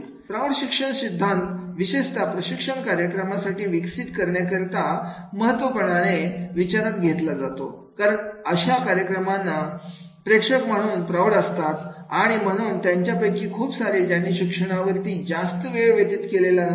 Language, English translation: Marathi, Adult learning theory is especially important to consider the developing training programs because the audience for many such programs tends to be adults and therefore most of whom have not spent a majority of their time in a formal educational setting